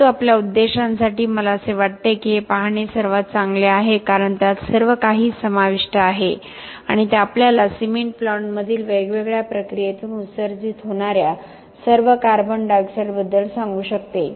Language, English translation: Marathi, But for our purposes I think this would be the best to look at because it includes everything and it could tell us about all the CO2 that is emitted from the different process in the cement plant